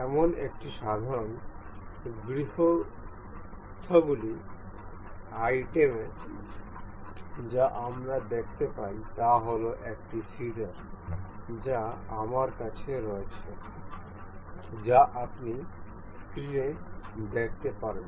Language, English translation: Bengali, One of such simple household item we can see is a scissor that I have that you can see on the screen is